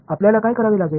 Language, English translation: Marathi, What do you have to do